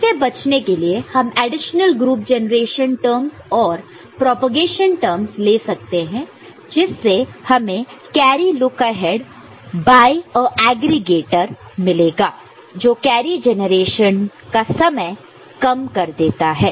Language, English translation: Hindi, And, to avoid that, we can have additional group carry generation and propagation terms and by which we can get carry look ahead by a aggregator and that reduces the time for generation of the carry, ok